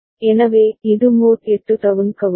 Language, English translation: Tamil, So, it is mod 8 down counter